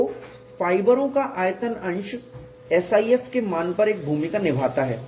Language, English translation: Hindi, So, the volume fracture of the fibers does play a role on the value of SIF